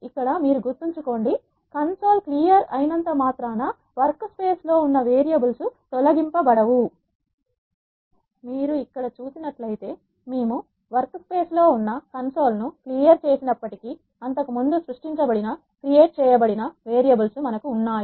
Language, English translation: Telugu, Once I do this you can see that the console will get cleared remember clearing console will not delete the variables that are there in the workspace you can see that even though we have cleared the console in the workspace we still have the variables that are created earlier